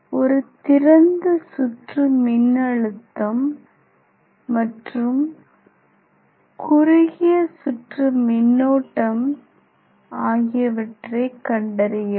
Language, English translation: Tamil, Here, we have to find out the open circuit voltage and short circuit current